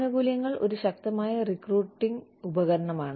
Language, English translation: Malayalam, Benefits are a powerful recruiting tool